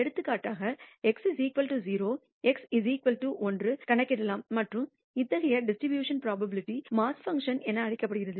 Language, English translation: Tamil, For example, x is equal to 0, x is equal to one can be computed and such a distribution will be called as the probability mass function